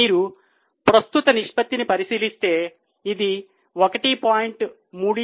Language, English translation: Telugu, If you look at current ratio, you will see it was from 1